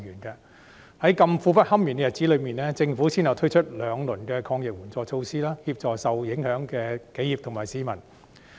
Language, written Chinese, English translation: Cantonese, 在這麼苦不堪言的日子裏，政府先後推出兩輪抗疫援助措施，協助受影響的企業和市民。, During such difficult times the Government has rolled out two rounds of anti - epidemic support measures to assist enterprises and members of the public affected